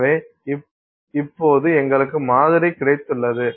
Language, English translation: Tamil, So, now we have got this sample